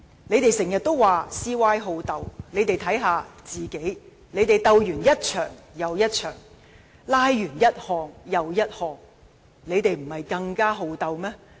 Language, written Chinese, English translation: Cantonese, 反對派經常說 "CY 好鬥"，但他們也應該好好看看自己，他們鬥完一場又一場，"拉"完一項又一項，豈不是更加好鬥嗎？, The opposition camp often criticizes CY as belligerent but should they not also take a long hard look at themselves? . They stir up trouble one after another; they filibuster time and again to obstruct the proposals of the Government . Are they not the ones who are more belligerent?